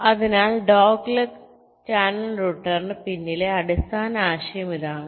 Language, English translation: Malayalam, so this is the basic idea behind the dogleg channel router